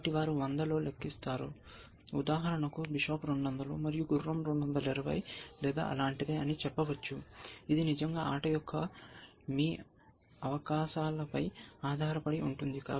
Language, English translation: Telugu, So, they compute in 100, for example, let say bishop is 200, and knight is 220 or something like that, it really depends on your prospective of the game essentially